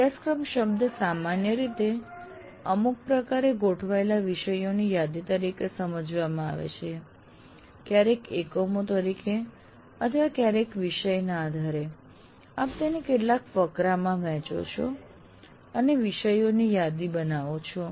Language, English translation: Gujarati, Here the moment you utter the word syllabus, what you have is a list of topics organized in some fashion, sometimes as units or sometimes as based on the topic, you divide them into some paragraphs and list the topics